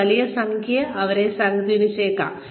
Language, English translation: Malayalam, They could be influenced by a large number of things